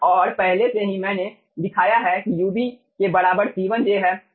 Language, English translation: Hindi, okay, and already i have shown ub is equals to c1j